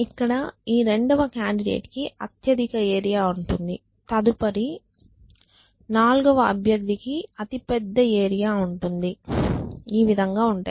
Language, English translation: Telugu, So, this second candidate will have the largest area the fourth candidate will have the next largest area and so on and so forth